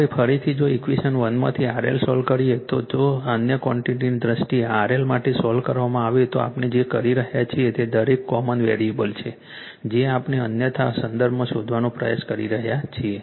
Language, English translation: Gujarati, Now, again if you solve from equation one in RL if you solve for RL in terms of other quantities, what we are doing is each con variable we are trying to find out in terms of others right